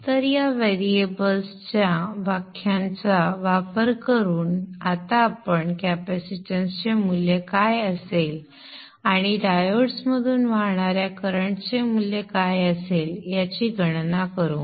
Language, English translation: Marathi, So using these variables definition we shall now calculate what should be the value of the capacitance and also what should be the value of the currents that should flow through the diodes and such